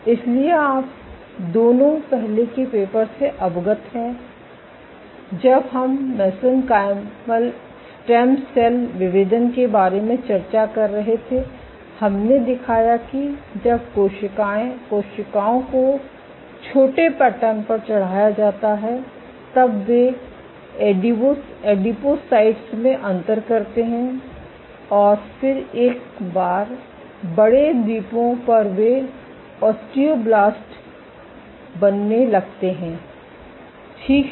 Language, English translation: Hindi, So, you are both aware of the earlier paper when we were discussing about mesenchymal stem cell differentiation, we showed that when cells are plated on small patterns then they tend to differentiate into adipocytes and then once on big islands they tend to become osteoblasts ok, so this is cell shape mediated